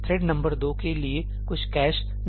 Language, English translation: Hindi, There would not be some cache for thread number 2